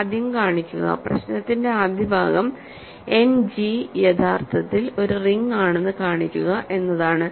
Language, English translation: Malayalam, So, first show that so, the first part of the problem is show that End G is actually a ring ok